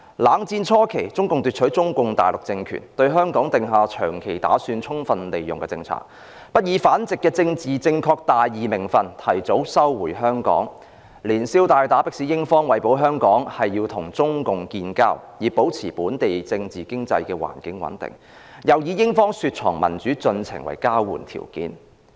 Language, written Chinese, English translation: Cantonese, 冷戰初期，中共奪取中共大陸政權，對香港訂下"長期打算，充分利用"的政策，不以反殖的"政治正確大義名份"提早收回香港，連消帶打迫使英方為保香港，要與中共建交，以保持本港政治、經濟環境穩定，又以英方雪藏民主進程為交換條件。, At the beginning of the Cold War after the Communist Party of China CPC gained political power on Mainland China it set down its policy on Hong Kong that is making long - term planning and taking full advantage . Instead of taking back Hong Kong before the due date in the politically correct and righteous name of anti - colonialism it killed two birds with one stone by compelling the United Kingdom to establish diplomatic relations with China for the sake of keeping possession of Hong Kong; and demanding the United Kingdom to freeze democratic development of Hong Kong in return for maintaining its political and economic stability